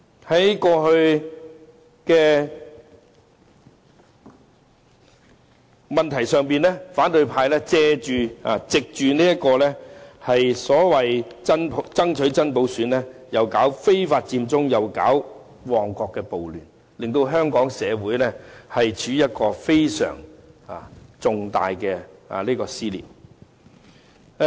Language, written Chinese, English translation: Cantonese, 在過去，反對派藉着爭取真普選搞非法佔中和旺角暴亂，令香港社會出現非常重大的撕裂。, In the past the opposition ignited Occupy Central and Mong Kong riot under the pretence of campaigning for genuine universal suffrage which have torn Hong Kong wide apart